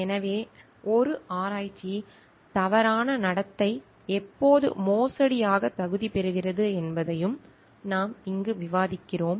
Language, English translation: Tamil, So, we are also discussing over here when does a research misconduct qualifies as a fraud